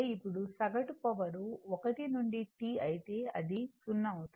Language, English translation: Telugu, Now, the average power average power 1 to T if you then it will become 0